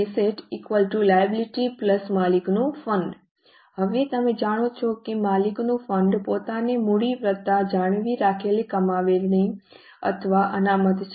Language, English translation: Gujarati, Now, you know that owners fund itself is capital plus retained earnings or reserves